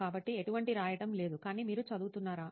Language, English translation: Telugu, So there was no writing involved but you were reading